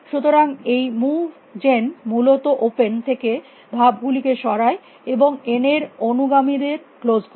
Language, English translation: Bengali, So, this move gen basically removes moves from open, and close the successor of n